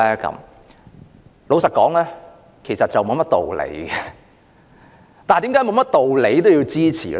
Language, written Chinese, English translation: Cantonese, 坦白說，其實沒有甚麼道理，但為甚麼沒有道理亦要支持呢？, Honestly there is really no reason in it . But why would I support the adjournment motion despite the fact that there is no reason in it?